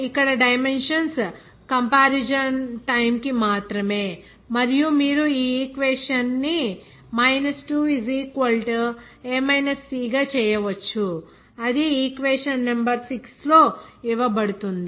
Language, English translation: Telugu, Here only for the time that dimensions can be compared and you can make this equation is 2 = a c that is given in equation number 6